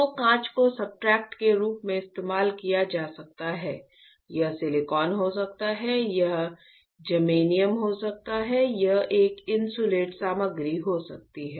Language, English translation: Hindi, So, glass can be used as substrate, this can be silicon right, this can be germanium, this can be an insulating material